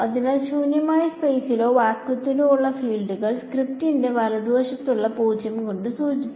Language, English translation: Malayalam, So, the fields in empty space or vacuum they are denoted by the 0 under script right